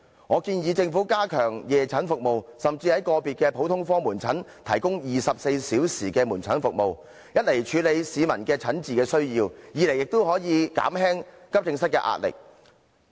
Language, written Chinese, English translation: Cantonese, 我建議政府加強夜診服務，甚至在個別普通科門診診所提供24小時門診服務，一方面可處理市民的診治需要，另一方面也可減輕急症室的壓力。, I propose that the Government should step up evening consultation services and even introduce 24 - hour outpatient services in individual general outpatient clinics which will cater for the consultation needs of the public on the one hand and alleviate the pressure of AE departments on the other